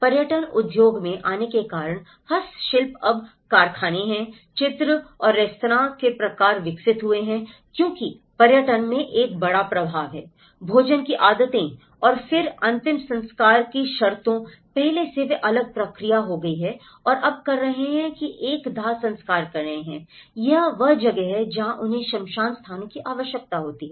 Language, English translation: Hindi, Handicrafts are now factory manufactured because of the tourism industry coming into the picture and restaurant typologies have developed because tourism has a major influence in terms of food habits and then funerals, earlier, they were having a different process and now they are doing a cremating, this is where they require a crematorium spaces